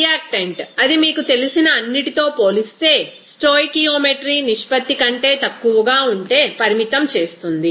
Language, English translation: Telugu, A reactant is limiting if it is present in less than it is a stoichiometry proportion relative to all other you know, reactants